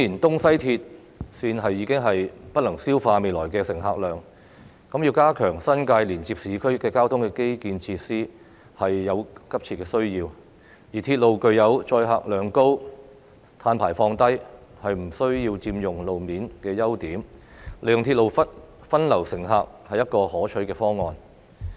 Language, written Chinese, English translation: Cantonese, 東、西鐵綫顯然已經不能消化未來的乘客量，加強新界連接市區的交通基建設施有急切的需要，而鐵路具有載客量高、碳排放低、不需要佔用路面等優點，利用鐵路分流乘客是一個可取的方案。, Evidently the East Rail and West Rail Lines can no longer absorb the future passenger throughput thus there is a pressing need to enhance transport infrastructure and facilities connecting the New Territories and urban areas . Railways have the merits of high capacity low carbon emission and do not occupy road space . The use of railways to divert passengers is a desirable option